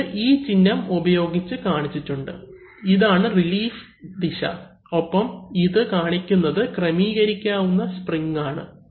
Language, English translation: Malayalam, So, this is shown by the symbol that, this is the relief direction and this shows that there is an adjustable spring here